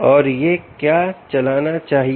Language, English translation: Hindi, and what should it run